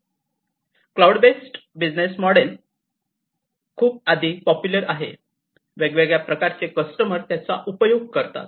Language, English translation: Marathi, So, cloud based business models are already very popular, they are used by different types of customer bases